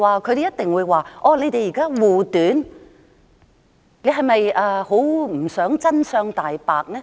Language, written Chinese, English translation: Cantonese, 他們一定會指責我們護短，是否不想真相大白？, They would accuse us of shielding the wrongdoers . Do we not want the truth to be seen?